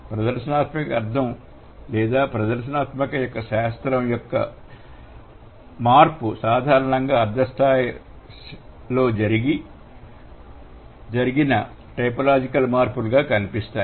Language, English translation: Telugu, The shift in the change of the demonstrative, the meaning or the science of demonstrative, it has been one of the most commonly found typological change at the semantic level